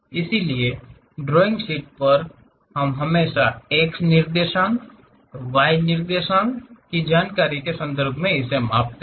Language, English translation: Hindi, So, on the drawing sheet, we always measure in terms of x coordinate, y coordinate kind of information